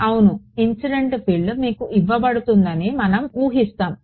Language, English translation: Telugu, Yeah incident field is going to be given to you we will assume that